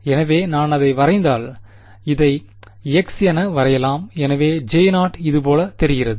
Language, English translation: Tamil, So, if I plot it over here; let us plot this as x, so J 0 looks something like this ok